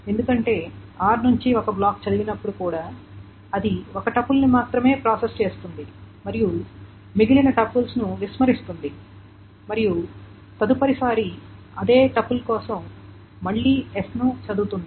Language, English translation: Telugu, Because even when a block is read from R it processes only one tuple and then throws away the rest of the tuples and it reads S again for that same tuple the next time